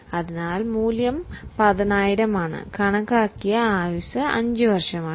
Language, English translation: Malayalam, So, value is 10,000, the life which is estimated is 5 years